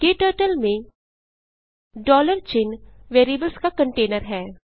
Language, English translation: Hindi, In KTurtle, $ sign is a container of variables